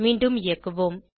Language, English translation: Tamil, Let us run again